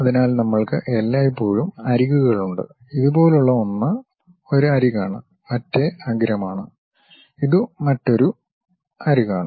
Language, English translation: Malayalam, So, we always be having edges; something like this is one edge, other edge and this one is another edge and so on